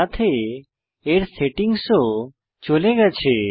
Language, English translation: Bengali, Its settings are gone as well